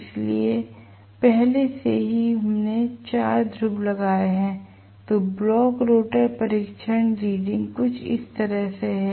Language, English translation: Hindi, So, already we have deduced the poles have to be 4 poles then block rotor test reading is somewhat like this